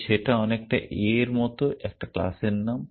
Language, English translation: Bengali, So, very much like the class name in a